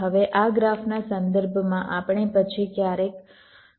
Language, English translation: Gujarati, now, with respect to this graph, we then calculate sometimes